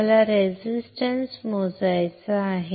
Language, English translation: Marathi, I want to measure a resistance